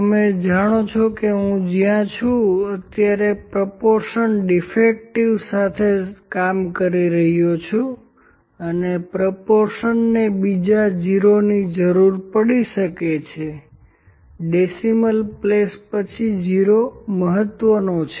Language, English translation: Gujarati, You know I am where working with the proportion defective this time and the proportion might need another 0, is significant 0 after the decimal